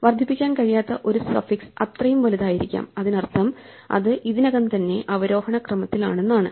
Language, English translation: Malayalam, So, a suffix that cannot be incremented is one which is as large as it could possibly be which means that it is already in descending order